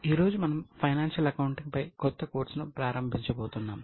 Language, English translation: Telugu, Today we are going to start a new course on financial accounting